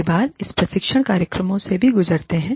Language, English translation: Hindi, Many times, we also go through training programs